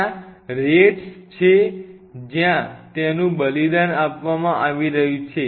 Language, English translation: Gujarati, There are RATs which are being sacrificed right